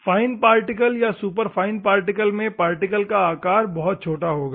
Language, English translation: Hindi, Fine particle or a super fine particle it will be a small particle